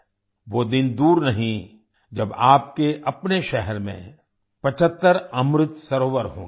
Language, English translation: Hindi, The day is not far when there will be 75 Amrit Sarovars in your own city